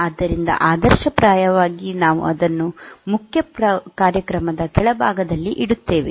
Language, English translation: Kannada, So, so ideally, we put it at the bottom of the main program